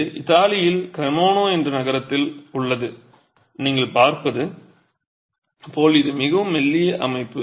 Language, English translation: Tamil, This is in Italy in a town called Cremona and as you can see it's a fairly slender structure